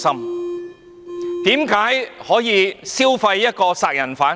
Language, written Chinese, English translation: Cantonese, 為甚麼可以消費一個殺人犯？, Why can the Government piggyback on a murderer?